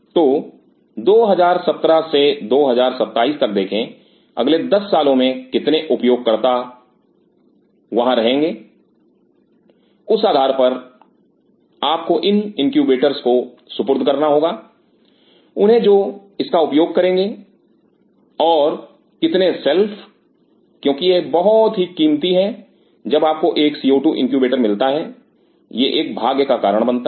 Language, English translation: Hindi, So, by see 2017 to 2027 next 10 years how many users will be there, based on that you have to assign out here in these incubators who will be using how many shelves because these are costly when you are getting a co 2 incubator it causes a fortune